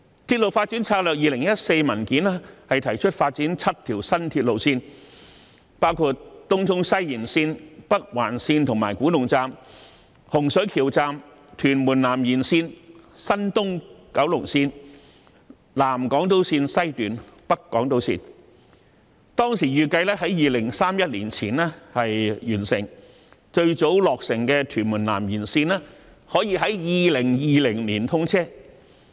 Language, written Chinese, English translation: Cantonese, 《鐵路發展策略2014》文件提出發展7條新鐵路線，包括東涌西延綫、北環綫及古洞站、洪水橋站、屯門南延綫、東九龍綫、南港島綫及北港島綫，當時預計在2031年前完成，最早落成的屯門南延綫可在2020年通車。, It was proposed in the Railway Development Strategy 2014 the development of seven new railway lines namely Tung Chung West Extension Northern Link and Kwu Tung Station Hung Shui Kiu Station Tuen Mun South Extension East Kowloon Line South Island Line West and North Island Line . Back then these projects were expected to be completed by 2031 and the Tuen Mun South Extension which should be the first completed project would be commissioned in 2020